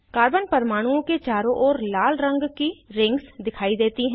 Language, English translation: Hindi, Red colored rings appear around the carbon atoms